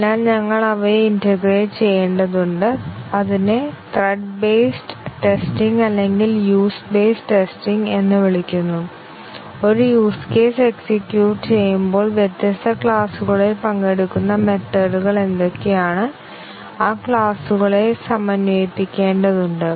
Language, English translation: Malayalam, So, we need to integrate them, that is called as thread based testing or used based testing once a use case is executed what are the methods participate for different classes we need to integrate those classes and then the cluster testing